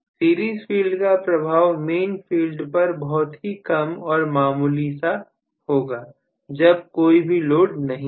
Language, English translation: Hindi, Series field influence on the overall main field will be negligibly small when there is no load